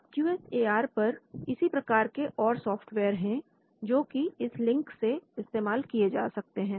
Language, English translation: Hindi, Now there are more softwares on QSAR using this link